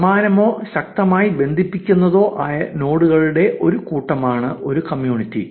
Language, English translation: Malayalam, A community is a group of similar or strongly connective nodes